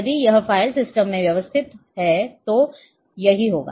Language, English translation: Hindi, If it is organized in file system this is what it will happen